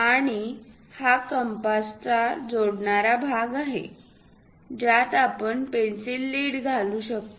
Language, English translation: Marathi, And this is a joining part of compass, which one can insert through which lead can be used